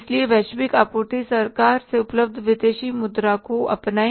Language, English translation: Hindi, So, go for the global sourcing, foreign exchange is available from the government